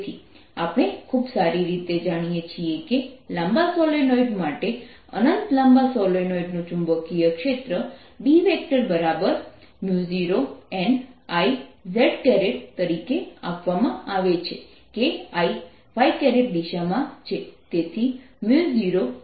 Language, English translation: Gujarati, so we very well know that for long solenoid, infinitely long solenoid, magnetic field is given as mu naught n i z cap that i is in phi direction, so mu naught n i z cap